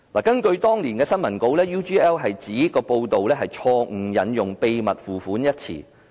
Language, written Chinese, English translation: Cantonese, 根據當年的新聞稿 ，UGL 指報道錯誤引用"秘密付款"一詞。, According to the press release at that time UGL stated that the term secret payment was wrongly cited in the report